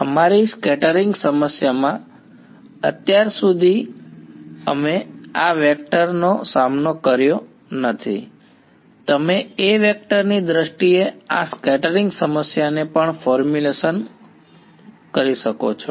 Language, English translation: Gujarati, In our scattering problem so, far we have not encountered this A vector right you can also formulate this scattering problem in terms of the A vector ok